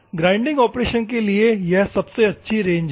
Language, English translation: Hindi, That is the best range for a grinding operation